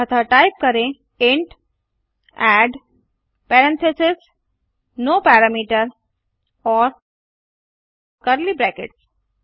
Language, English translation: Hindi, So type int add parentheses no parameter and curly brackets